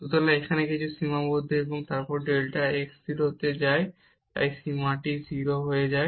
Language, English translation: Bengali, So, here is something bounded and then delta x goes to 0, so this limit will be a 0